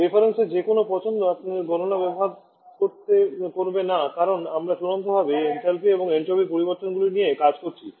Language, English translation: Bengali, These are some different values using any choice of reference will not hamper your calculation because we are ultimately delete the changes in enthalpy and entropy